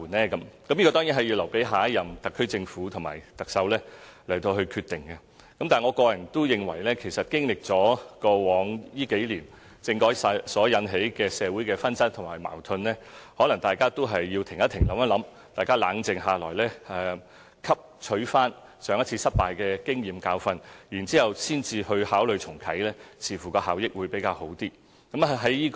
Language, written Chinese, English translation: Cantonese, 這個當然有待下一任特區政府和特首決定，但我個人認為，其實經歷了過往幾年政改所引起的社會紛爭和矛盾，大家也許有需要"停一停，諗一諗"，冷靜下來，汲取上一次失敗的經驗和教訓後才考慮重啟政改，這樣似乎會有較大效益。, It will certainly be the decision of the next - term Government and the next Chief Executive . In the past few years the controversy of the constitutional reform caused a lot of disputes and conflicts in society . Maybe it is time for us to pause and reflect on our experience